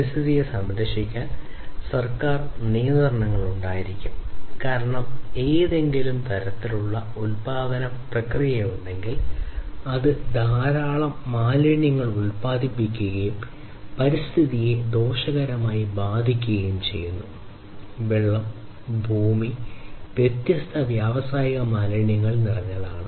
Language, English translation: Malayalam, So, government regulations should be there to protect the environment, because you know if there is some kind of production process, which produces lot of waste and in turn harms the environment the water, the land etc are full of different industrial wastes then that is not good